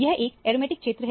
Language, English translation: Hindi, This is an aromatic region